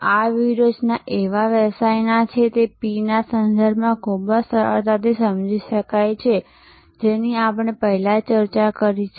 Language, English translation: Gujarati, These strategies can be understood quite easily in terms of those six P’s of service business that we have discussed before